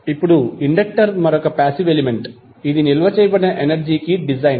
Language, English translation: Telugu, Now, inductor is another passive element which is design to stored energy